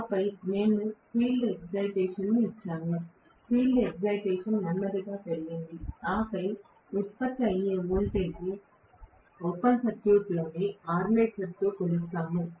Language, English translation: Telugu, The field excitation was slowly increased, and then whatever is the voltage generated was measured with the armature on open circuit